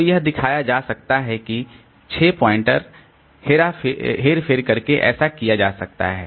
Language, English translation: Hindi, So, it can be shown that by doing six pointer manipulation so this can be done